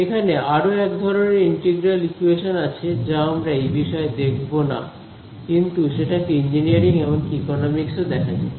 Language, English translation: Bengali, There is yet another kind of integral equation which we will not come across in this course, but they also occur throughout engineering and even economics